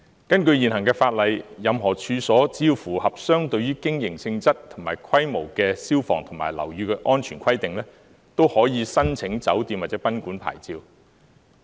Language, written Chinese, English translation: Cantonese, 根據現行法例，任何處所只要符合相對於經營性質及規模的消防及樓宇安全規定，都可以申請酒店或賓館牌照。, According to existing law owners of any premises may apply for hotel or guesthouse licence as long as they can meet the fire and building safety requirements in proportion to the business nature and scale of such premises